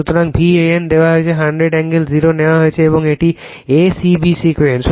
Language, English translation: Bengali, So, V a n is taken hundred angle 0 and ,, as it is a c b sequence